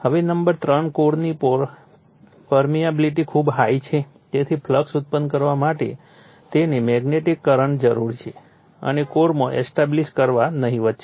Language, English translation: Gujarati, Now number 3, the permeability of the core is very high right so, that the magnetizing current required to produce the flux and establish it in the core is negligible right